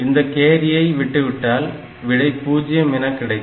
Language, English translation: Tamil, So, if we discard this carry then it becomes 0